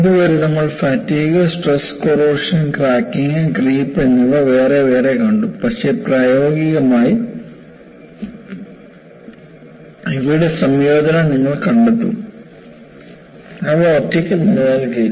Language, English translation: Malayalam, You know, so far, we have seen fatigue separately, stress corrosion cracking separately, and creep, but in practice, you will find the combination of this, they do not exist in isolation